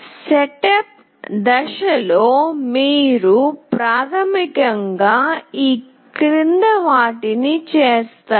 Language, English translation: Telugu, In the setup phase, you basically we do the following